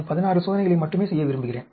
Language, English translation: Tamil, I want to do only 16 experiments